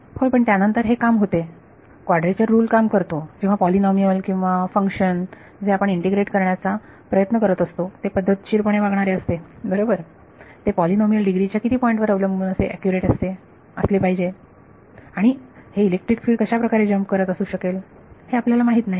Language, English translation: Marathi, Yeah, but then that works quadrature rule works when the polynomial or function that you are trying to integrate is well behaved right, it should be it will be accurate up to polynomial degree of so much depending on how many points and you do not know you do not know how jumpy this electric field is going to be